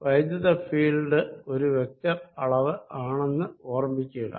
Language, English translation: Malayalam, recall that electric field is a vector quantity which is a function of x, y and z